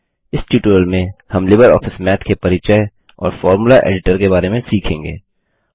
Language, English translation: Hindi, In this tutorial, we will cover Introduction and Formula Editor of LibreOffice Math